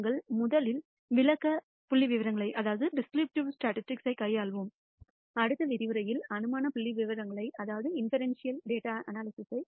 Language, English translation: Tamil, We will first deal with the descriptive statistics and in the next lecture we will deal with inferential statistics